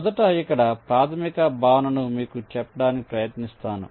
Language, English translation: Telugu, ok, let me try to tell you the basic concept here first